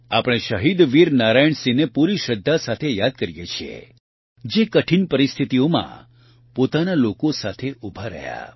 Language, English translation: Gujarati, We remember Shaheed Veer Narayan Singh with full reverence, who stood by his people in difficult circumstances